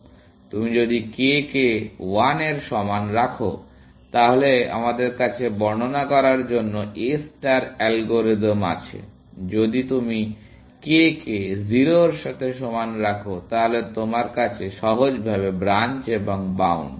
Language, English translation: Bengali, If you put k equal to 1, then we have the A star algorithm to just describe, if you put k equal to 0, for example, then you have, simply, branch and bound